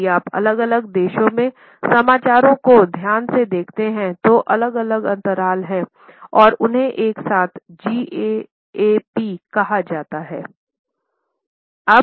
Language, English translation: Hindi, If you observe carefully the news in different countries there are different gaps and they together are called as GAAP